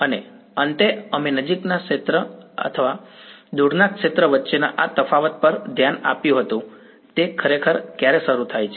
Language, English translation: Gujarati, And finally, this we had glossed over this distinction between near field and far field when does it actually begin right